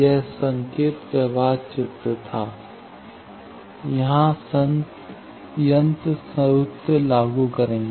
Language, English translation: Hindi, This was the signal flow graph here will apply the machines formula